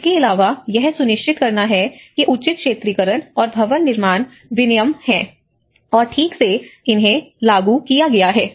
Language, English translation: Hindi, Also, ensuring that appropriate zoning and building regulations are in place and being properly implemented